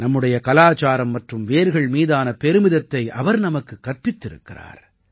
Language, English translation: Tamil, He taught us to be proud of our culture and roots